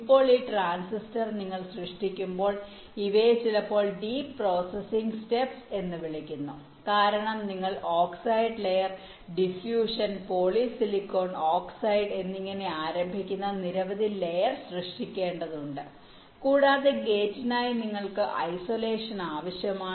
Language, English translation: Malayalam, now, this transistor, when you are creating these are sometimes called deep processing steps, because you have to create a number of layers, starting from the oxide layer diffusion, polysilicon oxide